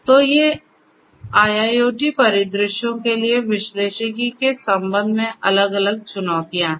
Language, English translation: Hindi, So, these are the different challenges with respect to analytics for IIoT scenarios